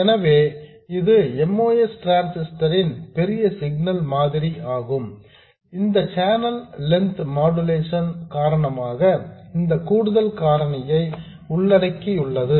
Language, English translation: Tamil, So, this is the large signal model of the most transistor, including this additional factor due to channel length modulation